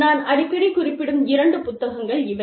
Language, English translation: Tamil, Two books, that i have been referring to, very often